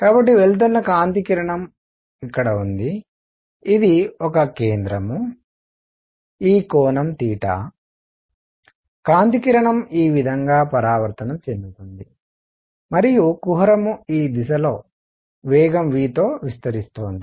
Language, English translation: Telugu, So, there is the light ray which is going this is a centre, this angle is theta, the light ray gets reflected like this and the cavity is expanding in this direction with velocity v